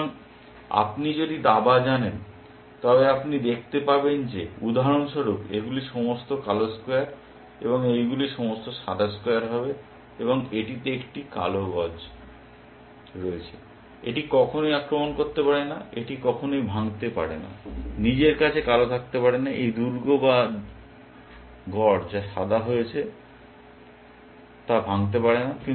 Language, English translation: Bengali, So, if you know chess you will see that you will be for example, all black squares and these will be all white squares, and it has a black bishop, it can never attack, it can never break, left to itself black can never break into this fortress that white has constructed